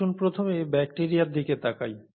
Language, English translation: Bengali, Let us look at bacteria first